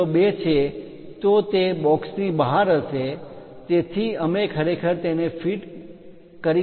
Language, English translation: Gujarati, 02 it will be out of that box so, we cannot really fit it